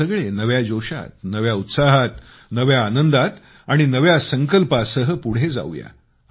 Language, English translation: Marathi, Let us move forward with all renewed zeal, enthusiasm, fervor and new resolve